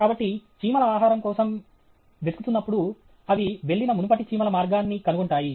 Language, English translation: Telugu, So, when the ants go in search of food, they find out the previous ants in which path they have gone